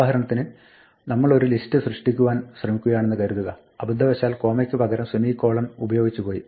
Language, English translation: Malayalam, For example, supposing we try to create a list and by mistake we use a semicolon instead of a comma